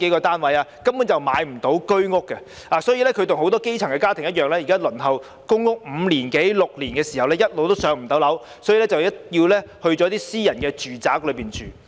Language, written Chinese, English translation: Cantonese, 市民根本買不到居屋，他們現在跟很多基層家庭一樣，輪候公屋五六年也一直無法"上樓"，所以便要轉向私人住宅市場。, It is impossible for the public to buy HOS flats at all . Like many grass - roots families they have waited for five to six years but are still not allocated any PRH units . This is why they have to turn to the private residential market